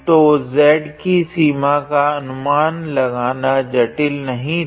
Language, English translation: Hindi, So, guessing the limits for z is not complicated